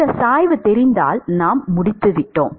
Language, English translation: Tamil, If we know this gradient, we are done